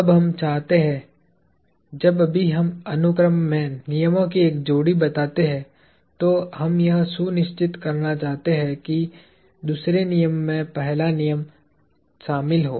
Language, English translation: Hindi, Now, we would like to… Whenever we state a pair of laws in sequence, we want to make sure that, the second law has the first law encapsulated in it